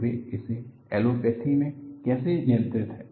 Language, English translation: Hindi, So, this is how they handle it in allopathy